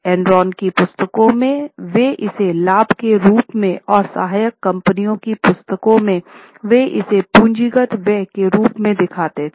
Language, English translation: Hindi, In the books of Enron, they would report it as a profit, and in the books of subsidiaries, they will show it as a capital expenditure